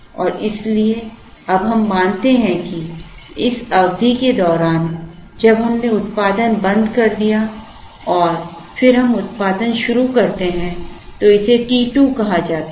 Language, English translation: Hindi, and so now, we assume that, in between during this period, when we stopped production and then we again start production this is called t 2